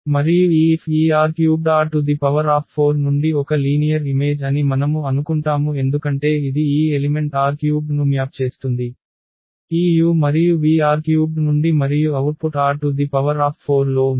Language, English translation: Telugu, And we assume that this F is a linear map from this R 3 to R 4 because it maps this element R 3, this u and v are from R 3 and the output is in R 4